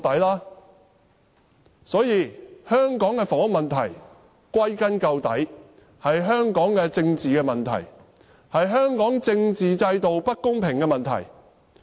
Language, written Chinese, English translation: Cantonese, 歸根究底，香港的房屋問題是香港的政治問題，也是香港政治制度不公平的問題。, All in all the housing problem of Hong Kong is both a political issue and a problem relating to the unfair local political system